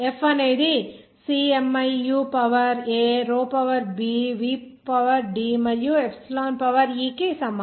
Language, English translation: Telugu, Like this F is equal to c miu to the power a row to the power b v to the power c D and epsilon to the power e